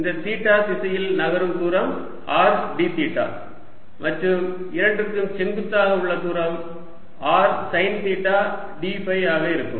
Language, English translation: Tamil, this distance is moving in theta direction, is r d theta, and the distance perpendicular to both is going to be r sine theta d phi